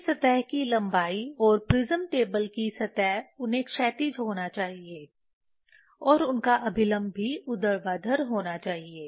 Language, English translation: Hindi, Their surface length and surface of the prism table they have to be horizontal and also normal to them has to be vertical